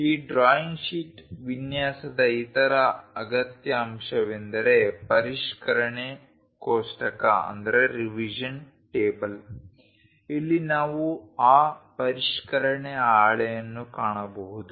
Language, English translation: Kannada, The other essential component of this drawing sheet layout is revision table, here we can find that revision sheet